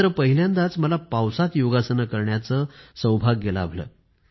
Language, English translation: Marathi, But I also had the good fortune to practice Yoga in the rain for the first time